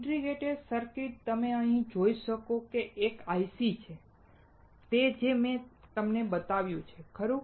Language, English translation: Gujarati, An integrated circuit; as you can see here, is an IC; that is what I have shown you, right